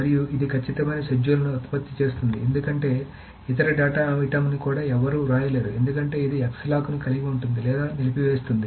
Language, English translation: Telugu, And it produces strict schedules because nobody can even write to that other data item because it still holds the X locks before it commits or about